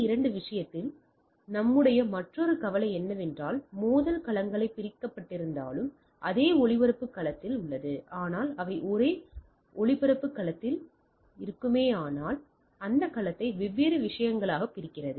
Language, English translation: Tamil, Another concern of our in case of layer 2 is it is in the same broad cast domain though the collision domains are divided, but still they are in the same broad cast domain, so that dividing the broad cast domain into different things